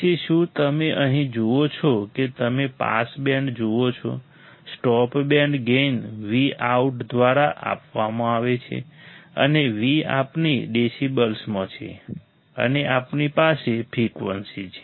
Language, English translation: Gujarati, Then have you see here you see pass band, stop band gain is given by V out and V we have in decibels and we have frequency